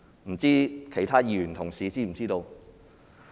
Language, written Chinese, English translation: Cantonese, 不知其他議員同事是否知道？, Are fellow colleagues aware of the relevant figure?